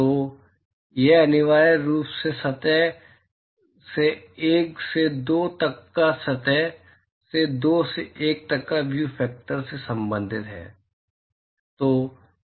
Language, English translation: Hindi, So, it essentially relates the view factor from surface one to two and from surface two to one